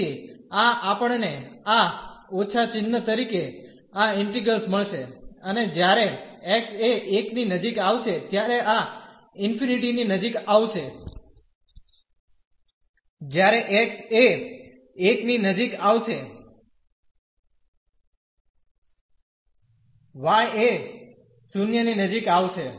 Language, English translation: Gujarati, So, this we will get this integral as this minus sign and this will be approaching to infinity when x is approaching to 1 when x is approaching to 1 the y will approach to